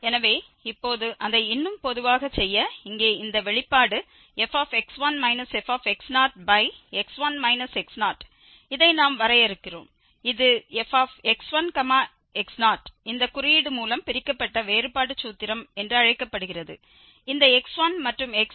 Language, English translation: Tamil, So, now to make it more general this expression here which is f x 1 minus this f x naught over x 1 minus x naught, we are defining this as f x 1 x naught with this symbol which is called the Divided difference formula so, this is the divided difference taking these x 1 and x naught to nodal points